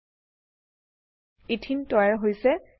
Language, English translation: Assamese, Ethene is formed